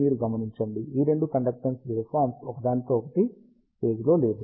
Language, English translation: Telugu, You observe that, both these conductance waveforms are out of phase with each other